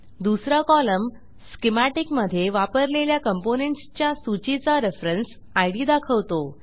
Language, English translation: Marathi, The second column shows reference id for list of components used in schematic